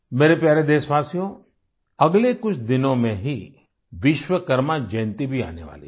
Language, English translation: Hindi, in the next few days 'Vishwakarma Jayanti' will also be celebrated